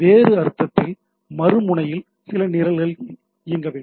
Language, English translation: Tamil, In other sense, there should be some program running at the other end, right